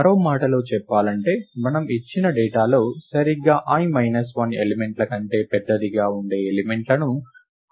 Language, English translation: Telugu, In other words we want to find an element, which is larger than exactly i minus 1 elements in the given datas